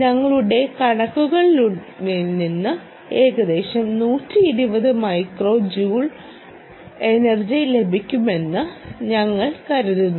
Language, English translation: Malayalam, we think from our calculations we get about hundred and twenty micro joules of energy